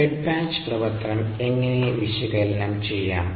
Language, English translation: Malayalam, how to analyze the fed batch operation